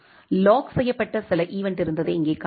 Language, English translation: Tamil, Here you can see there was some event which has been locked